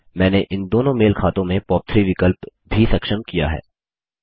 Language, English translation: Hindi, I have also enabled the POP3 option in these two mail accounts